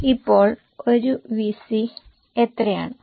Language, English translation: Malayalam, So, how much is a VC now